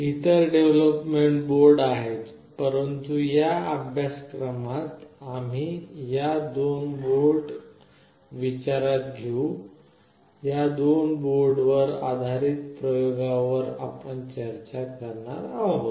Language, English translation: Marathi, There are other development boards as well, but in this course we will be taking the opportunity to take these two specific boards into consideration and we will be discussing the experiments based on these two boards